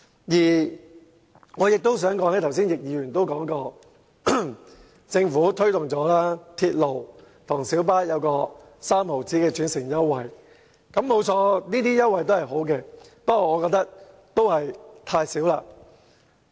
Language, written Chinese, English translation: Cantonese, 此外，正如剛才易議員所說，政府已推動港鐵公司與小巴提供每程3角的轉乘優惠，提供優惠當然好，但我仍嫌優惠太少。, Moreover as Mr Frankie YICK said earlier the Government has encouraged the MTR Corporation Limited MTRCL and the light bus trade to offer an interchange fare concession of 0.30 per trip . While the offer is certainly a good move the amount of concession is too small